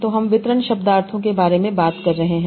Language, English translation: Hindi, So we are talking about distribution semantics